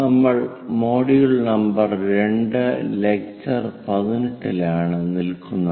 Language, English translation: Malayalam, We are in module number 2, lecture number 18